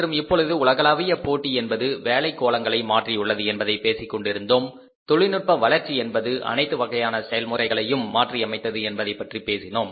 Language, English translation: Tamil, Then we talked about that now the say global competition has changed the working spheres and then we have seen, we have discussed that technology advances, technological advances have also changed the entire process